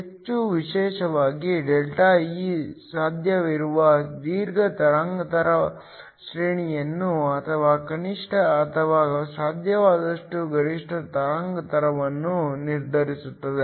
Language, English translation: Kannada, More especially ΔE determines the long wavelength range that is possible or the minimum or the maximum wavelength that is possible